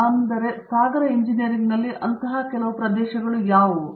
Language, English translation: Kannada, So, in ocean engineering what would constitute such areas